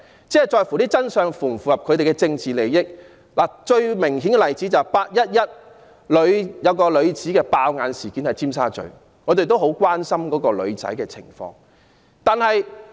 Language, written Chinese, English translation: Cantonese, 他們所謂的真相，必須符合其政治利益，最明顯的例子莫過於"八一一"中一名女子在尖沙咀"爆眼"的事件，我們亦十分關心該名傷者的情況。, To them what is to be called the truth must conform to their political interests . The most obvious example is the case of a woman who got shot in the eye in Tsim Sha Tsui in the 11 August incident . We are also very concerned about the situation of the injured person